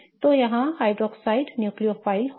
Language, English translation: Hindi, So, hydroxide would be the nucleophile in this case